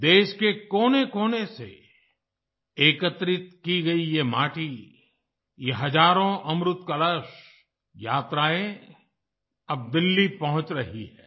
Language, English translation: Hindi, This soil collected from every corner of the country, these thousands of Amrit Kalash Yatras are now reaching Delhi